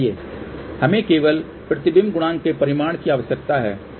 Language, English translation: Hindi, We only need magnitude of the reflection coefficient which is 0